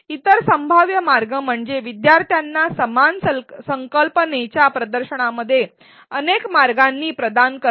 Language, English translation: Marathi, Other possible ways are to provide learners in exposure to the same concept in multiple ways